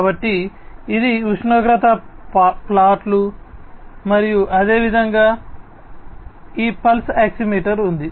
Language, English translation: Telugu, So, this is the temperature plot and likewise this pulse oximeter that is there